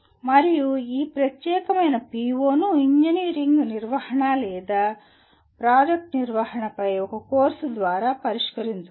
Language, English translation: Telugu, And this particular PO can be addressed through a course on engineering management and or project management